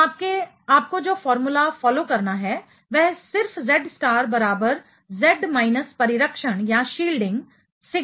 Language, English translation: Hindi, So, the formula you have to follow is simply Z star equal to Z minus shielding is sigma; right